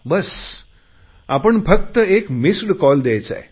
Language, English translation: Marathi, All you have to do is to give a missed call